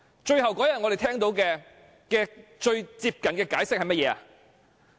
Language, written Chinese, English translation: Cantonese, 最後那天，我們聽到最接近的解釋是甚麼？, What was the closest explanation we heard on the last day?